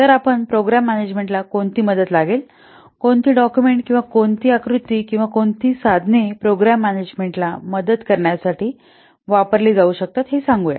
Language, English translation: Marathi, Then let's say what are the ATS to Program Management, what documents or what diagrams or what tools they can be used to add program management